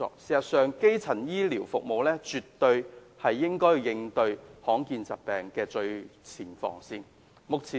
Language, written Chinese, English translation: Cantonese, 事實上，基層醫療服務絕對是應對罕見疾病的最前防線。, In fact primary health care services are absolutely the front line of defence as to rare diseases